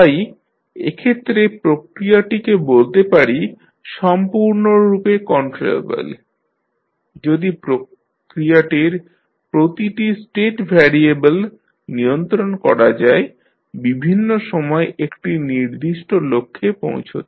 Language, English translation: Bengali, Now, the process is said to be completely controllable if every state variable of the process can be controlled to reach a certain objective infinite times